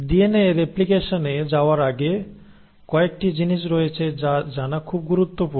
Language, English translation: Bengali, So before I get into DNA replication, there are few things which is very important to know